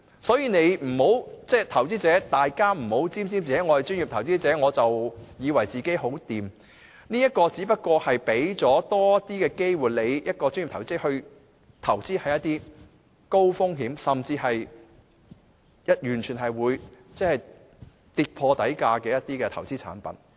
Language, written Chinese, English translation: Cantonese, 所以，投資者不要沾沾自喜，以為自己屬專業投資者便代表很有本事，這"專業投資者"資格只不過讓人有機會投資一些高風險，甚至可能會跌破底價的投資產品。, So people who are qualified as professional investors must not be complacent thinking that they are very capable . The status will only give people opportunities to invest in some investment products which are of high risks or may plummet below the initial prices